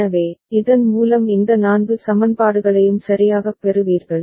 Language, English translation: Tamil, So, by this you get this 4 equations right